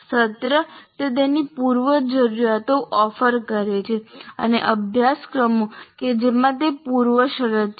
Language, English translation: Gujarati, The semester it is offered, its prerequisites, and the courses to which it is a prerequisite